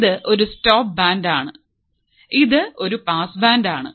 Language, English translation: Malayalam, This is a stop band and this is a pass band